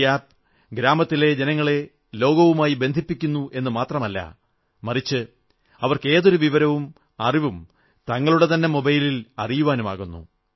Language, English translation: Malayalam, This App is not only connecting the villagers with the whole world but now they can obtain any information on their own mobile phones